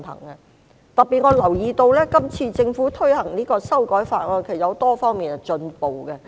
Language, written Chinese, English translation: Cantonese, 我特別留意到今次政府推行這項修訂法案，其實有多方面的進步。, I have noticed in particular that the Government has made progress in various aspects in implementing this amendment bill